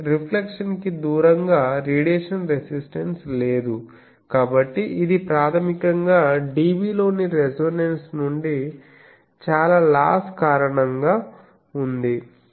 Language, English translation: Telugu, That means, far from the resonance there is no radiation resistance, so it is basically due to the loss far from the resonance in dB this is also in dB